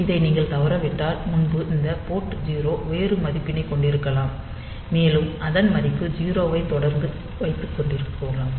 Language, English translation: Tamil, So, if you miss this, then it may be that previously this port was having a value 0, and it continues to have the value 0